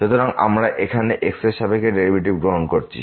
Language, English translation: Bengali, So, we are taking here derivative with respect to